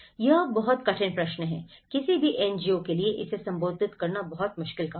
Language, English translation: Hindi, This is very difficult question; this is very difficult task for any NGO to address it